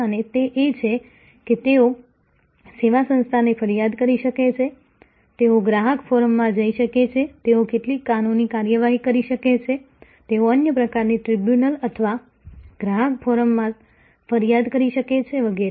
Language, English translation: Gujarati, And which is that, they can complaint to the service organization, they can go to consumer forum, they can take some legal action, they can complaint to other kinds of tribunals or consumer forum and so on